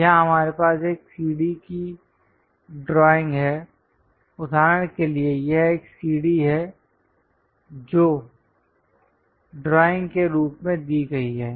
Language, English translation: Hindi, Here we have a staircase drawing for example, this is the staircase given as a drawing